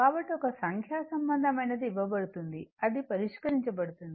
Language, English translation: Telugu, So, one numerical is given that we will solve it